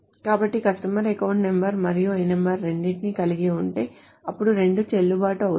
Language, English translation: Telugu, So if a customer has both account number and L number, then both will be valid